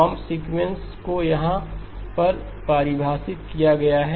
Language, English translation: Hindi, Comb sequence is as defined as here